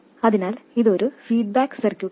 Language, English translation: Malayalam, So, it is a feedback circuit